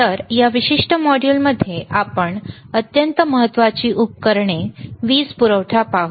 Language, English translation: Marathi, So, in this particular module let us see the extremely important equipment, power supply